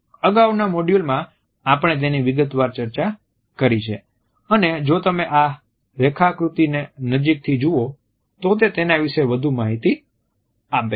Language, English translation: Gujarati, In our previous module we have discussed it in detail and if you look closely at this diagram you would find that this is further information about it